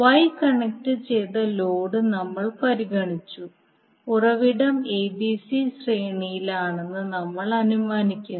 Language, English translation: Malayalam, Now since we have considered the Y connected load and we assume the source is in a b c sequence